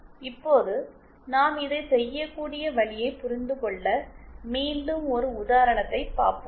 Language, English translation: Tamil, Now to understand the way in which we can do this, let us see again an example